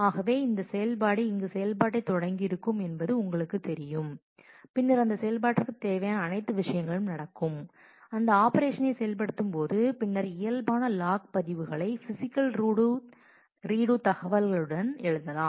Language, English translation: Tamil, So, you know this is where operation has started, then all the things that are happening for this operation while the operation is executing then you write normal log records with physical redo physical information